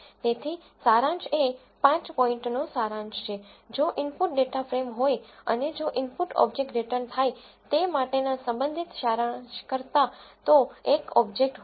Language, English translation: Gujarati, So, summary is the five point summary if the input is a data frame and if the input is an object than the corresponding summary for the object is returned